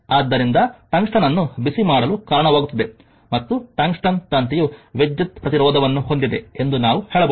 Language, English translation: Kannada, So, therefore, resulting in heating of the tungsten and we can say that tungsten wire had electrical resistance